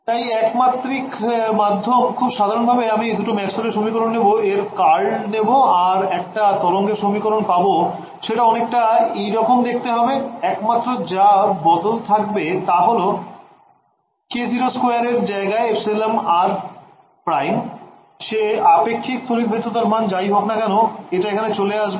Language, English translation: Bengali, So, 1D medium so, very simply I will take the two Maxwell’s equations take curl of the other and get a wave equation and this wave equation that I get is off this kind over here the only change that happens is that instead of k naught squared I get an epsilon r prime whatever was the relative permittivity over there comes in over here ok